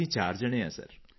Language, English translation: Punjabi, We are four people Sir